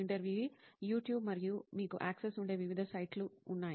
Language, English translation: Telugu, YouTube and there are different sites where you get access to